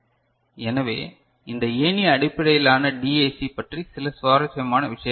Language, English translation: Tamil, So, few interesting things about this ladder based DAC right